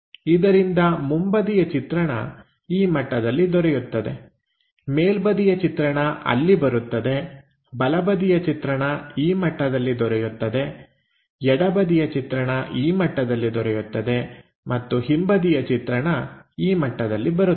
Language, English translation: Kannada, Then, unfold this box, so the front view comes at this level; the top view comes there; the right side view comes at this level; the left side view comes at that level and the back side view comes at this level